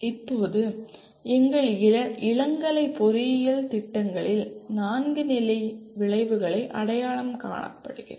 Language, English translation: Tamil, Now, coming to our undergraduate engineering programs there are four levels of outcomes identified